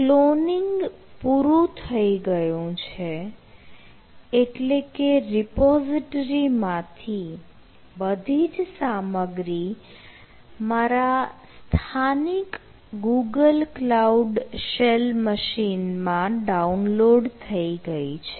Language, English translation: Gujarati, so that means the all the all the contents from this repository has been downloaded in my local google cloud shell machine